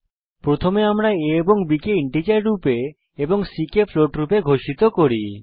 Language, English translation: Bengali, We first declare variables a and b as integer and c as float